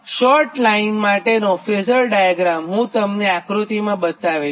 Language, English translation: Gujarati, right, the phasor diagram for the short line i will show you in this figure, right